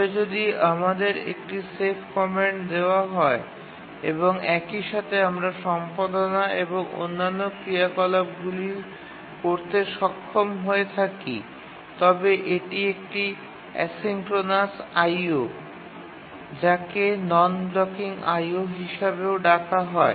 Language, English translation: Bengali, But if you are given a save command and at the same time you are able to also do editing and other operations, then it's a asynchronous I